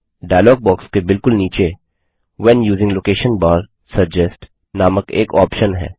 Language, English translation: Hindi, At the very bottom of the dialog box, is an option named When using location bar, suggest